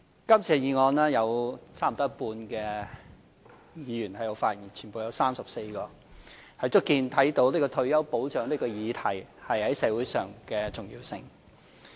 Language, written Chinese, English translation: Cantonese, 今次議案有差不多一半議員發言，全部有34位，足見退休保障這項議題在社會上的重要性。, Altogether 34 Members have spoken on this motion representing almost one half of all Members . This demonstrates the importance of retirement protection in society